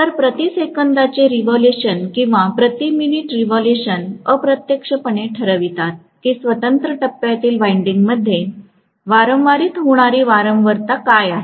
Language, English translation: Marathi, So the revolutions per second or revolutions per minute indirectly decide what is the frequency which is being induced in individual phase windings